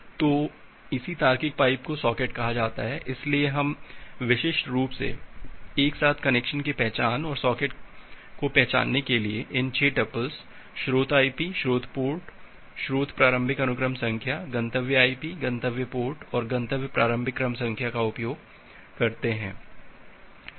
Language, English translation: Hindi, So, this same logical pipe is termed as a socket, so we defined uniquely identify a connection uniquely identify a socket with the 6 tuples, the source IP, source port, source initial sequence number, destination IP, destination port and destination initial sequence number